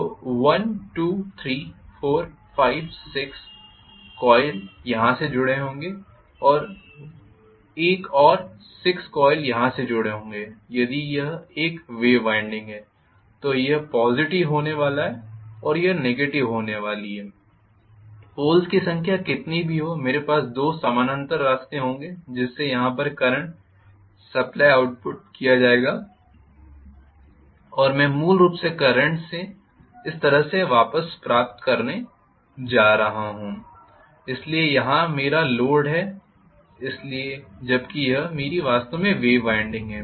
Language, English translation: Hindi, So 1, 2, 3, 4, 5, 6 coils will be connected here another 6 coils will be connected here if it is a wave winding so this is going to be positive and this is going to be negative irrespective of the number of poles I will have two parallel paths this going to supply the current here output and I am going to have essentially the current returning like this so here is my load so this is actually my wave winding